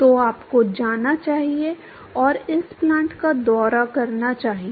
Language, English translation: Hindi, So, you should go and visit this plant